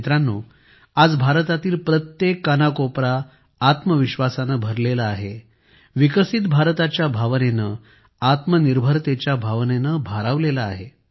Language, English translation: Marathi, Friends, today every corner of India is brimming with selfconfidence, imbued with the spirit of a developed India; the spirit of selfreliance